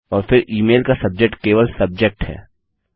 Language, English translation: Hindi, Then the subject of the email which is just subject